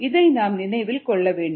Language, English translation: Tamil, we need to remember this